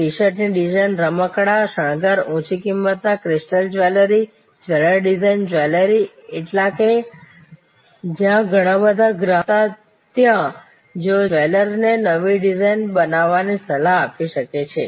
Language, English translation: Gujarati, T shirt design, toys and decoration, high price crystal jewelry, jewelry design, jewelers new, all alone that there where customers who were quite artistic and they advice the jeweler to create new designs